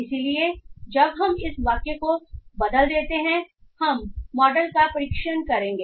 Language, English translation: Hindi, So, once we convert these sentences we will be training the model